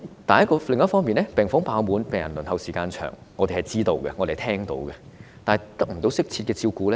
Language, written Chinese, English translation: Cantonese, 另一方面，病房爆滿，病人輪候時間長，病人得不到適切照顧。, On the other hand owing to the overcrowding wards and long waiting time patients cannot get proper care